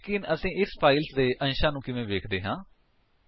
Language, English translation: Punjabi, But how do we see the content of this file